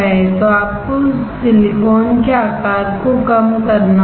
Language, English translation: Hindi, So, you have to reduce the size of silicon